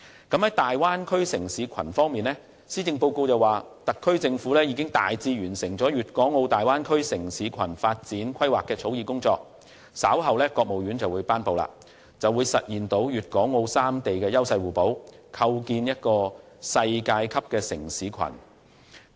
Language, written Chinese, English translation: Cantonese, 在大灣區建設方面，施政報告提到特區政府已大致完成"粵港澳大灣區城市群發展規劃"的草擬工作，稍後會由國務院頒布，屆時將可實現粵港澳三地優勢互補及構建世界級城市群。, With regard to the Bay Area the Policy Address mentions that the SAR Government has basically completed the drafting of the development plan for a city cluster in the Bay Area . The plan which will be promulgated by the State Council at a later date will help build a world - class city cluster through complementary cooperation among Guangdong Hong Kong and Macao